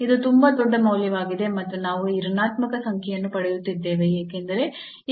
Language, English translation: Kannada, 1 this is too large value and we are getting this negative number because these are the dominating term for this h 0